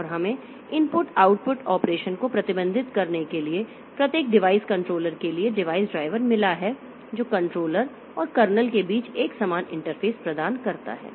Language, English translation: Hindi, And we have got device drivers for each device controller to manage the input output operation that provides uniform interface between controller and kernel